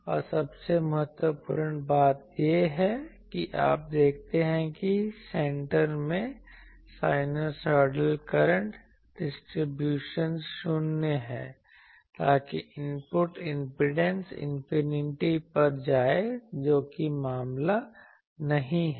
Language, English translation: Hindi, And most importantly you see that here the center fed at the centre the sinusoidal current distributions is 0 so that should give you input impedance should go to infinity which is not the case